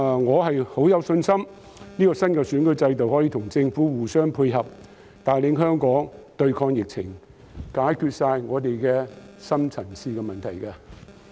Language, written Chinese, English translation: Cantonese, 我很有信心這個新的選舉制度可以與政府互相配合，帶領香港對抗疫情，解決我們所有的深層次問題。, I am very confident that this new electoral system can fit in well with the Government and lead Hong Kong to fight against the virus and resolve all our deep - seated problems